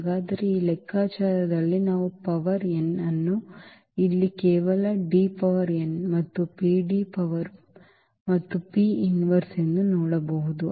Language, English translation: Kannada, So, what is the point here that we can see out of these calculations that A power n will be also just D power n here and this PD power and P inverse